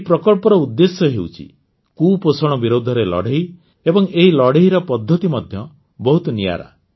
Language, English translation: Odia, The purpose of this project is to fight against malnutrition and the method too is very unique